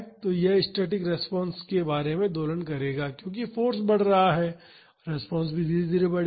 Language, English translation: Hindi, So, this will be oscillating about the static response as the force is increasing, the response will also gradually increased